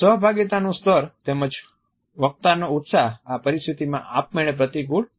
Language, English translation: Gujarati, The level of participation as well as the enthusiasm of the speakers would automatically be adversely affected in this situation